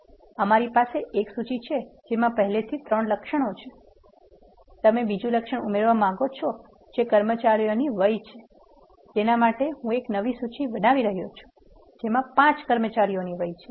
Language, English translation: Gujarati, We have a list which already contains three attributes, you want add another attribute which is employee dot ages; for that I am creating a new list which contains the ages of the employees five employees